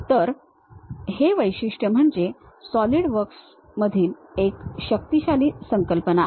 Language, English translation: Marathi, So, these features is a powerful concept in solidworks